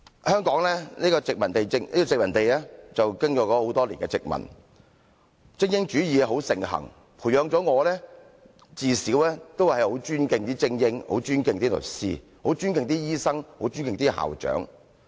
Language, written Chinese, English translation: Cantonese, 香港經過很多年的殖民統治，精英主義盛行，培養我自小很尊敬精英、很尊敬律師、很尊敬醫生、很尊敬校長。, After years of colonial rules in Hong Kong elitism has been prevailing in the city . In this environment I respected the elites the lawyers the doctors and the school principals during my childhood